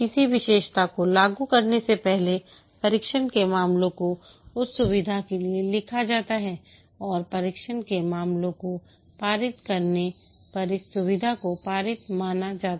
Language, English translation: Hindi, Before a feature is implemented, the test cases are written for that feature and the feature is considered passed when it passes the test cases